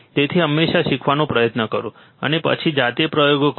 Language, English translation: Gujarati, So, always try to learn, and then perform the experiments by yourself